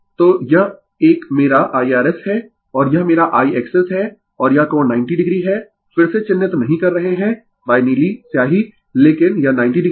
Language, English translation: Hindi, So, this this one my IR S and this is my IX S right and this angle is 90 degree not marking again by blue ink , but this is 90 degree